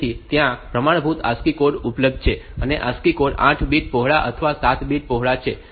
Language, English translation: Gujarati, So, there is a standard ASCII codes are available and ASCII codes are 8 bit wide or 7 bit wide